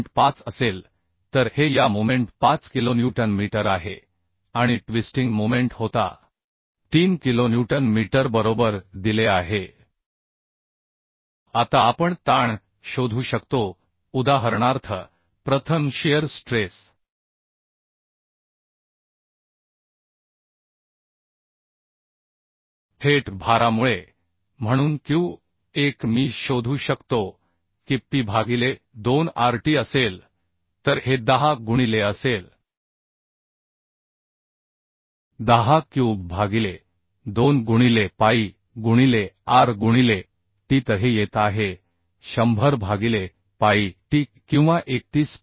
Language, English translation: Marathi, 5 so this is 5 kilonewton metre this moment and twisting moment was given three kilonewton metre right Now we can find out the stresses say for example first shear stress shear stress shear stress due to direct load so q1 I can find out that will be P by 2 pi r t so this will be 10 into 10 cube by 2 into pi into r into t so this is coming 100 by pi t or 31